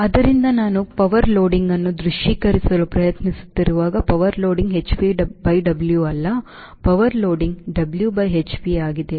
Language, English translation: Kannada, ok, so when i am trying to visualize power loading, power loading is not h p by w, power loading is w by h p